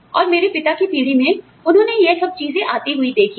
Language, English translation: Hindi, And, my father's generation, they have seen these things, come